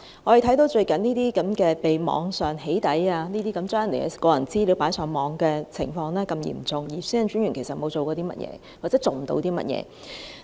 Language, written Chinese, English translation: Cantonese, 我們看到最近發生的網上"起底"、將個人資料放上網的情況十分嚴重，但其實專員並沒有做過甚麼，又或他也做不到甚麼。, As seen from doxxing cases on the Internet and the upload of personal information onto the Internet recently the situation is very serious